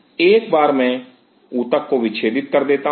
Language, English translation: Hindi, Now once I dissect the tissue